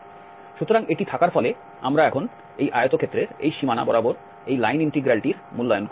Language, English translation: Bengali, So, having this we will now evaluate this line integral along this boundary of this rectangle